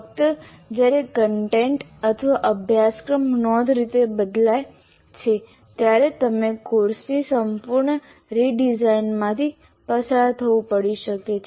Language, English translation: Gujarati, Only when the content or the syllabus significantly changes, you may have to go through the complete redesign of the course